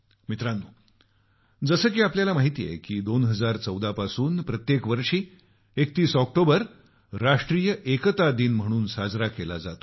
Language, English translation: Marathi, Friends, as you know that 31st October every year since 2014 has been celebrated as 'National Unity Day'